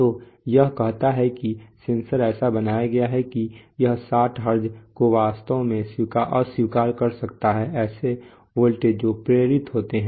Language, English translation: Hindi, So it says that the sensor is so constructed that it can actually reject that 60Hertz such interfered, such voltages which are induced